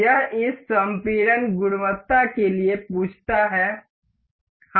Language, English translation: Hindi, This asks for this compression quality, we will ok